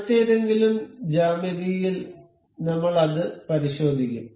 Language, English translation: Malayalam, We will check that on some other geometry